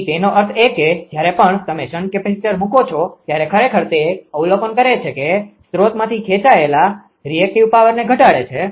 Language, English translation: Gujarati, So; that means, whenever you put shunt capacitor right, it actually ah it actually observe the your what you call that what you call it reduce the reactive power drown from the source